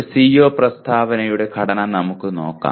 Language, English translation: Malayalam, Let us take a look at structure of a CO statement